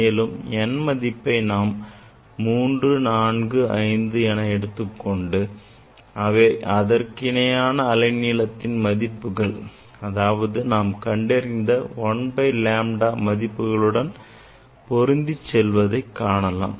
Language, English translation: Tamil, Then you take n equal to 3, 4, 5 and then see this matching with the wavelength 1 by lambda actually 1 by lambda that wavelength you are measuring